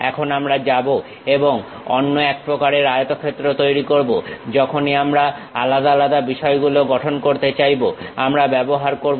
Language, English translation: Bengali, Now, we will go and create another kind of rectangle whenever we would like to construct different things we use